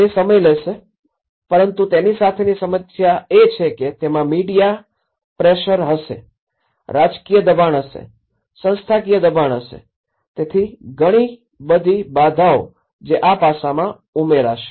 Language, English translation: Gujarati, It will take time but the problem with this is the media pressure will be there, the political pressure will be there, the institutional pressure will be there, so a lot of constraints which will add on to this aspect